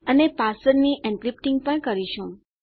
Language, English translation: Gujarati, And we are going to do the encrypting of the password